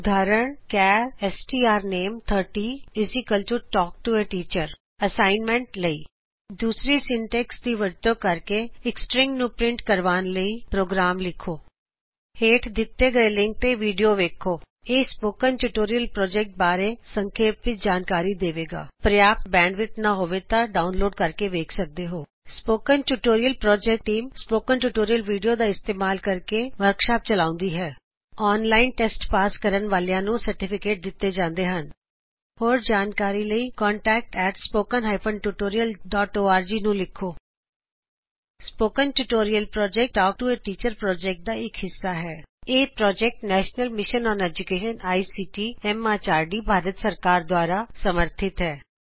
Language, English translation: Punjabi, Let us summarize In this tutorial we learnt Strings Declaration of a string eg: char strname[30] Initialization of a string eg: char strname[30] = Talk To A Teacher As an assignment Write a program to print a string using the 2nd syntax Watch the video available at the link shown below It summarizes the Spoken Tutorial project If you do not have good bandwidth, you can download and watch it The Spoken Tutorial Project Team Conducts workshops using spoken tutorials Gives certificates to those who pass an online test For more details, please write to, contact@spoken tutorial.org Spoken Tutorial Project is a part of Talk to a Teacher project It is supported by the National Mission on Education through ICT, MHRD, Government of India More information on this Mission is available at the link shown below This is Ashwini Patil from IIT Bombay signing off